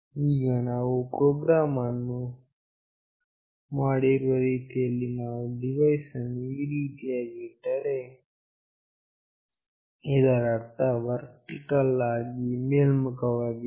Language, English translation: Kannada, Now, the way we have made the program, when we place the device in this fashion meaning it is vertically up